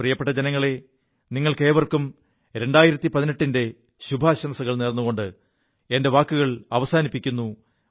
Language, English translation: Malayalam, My dear countrymen, with my best wishes to all of you for 2018, my speech draws to a close